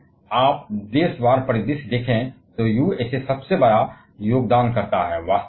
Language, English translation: Hindi, If you see the country wise scenario, USA is the largest contributor